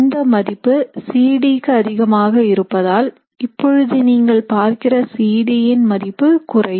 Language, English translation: Tamil, And because this value is greater for C D, what you would see is that the new value would be lower for C D